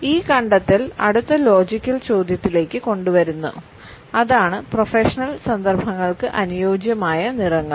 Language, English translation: Malayalam, This finding brings us to the next logical question and that is what may be the suitable colors for professional contexts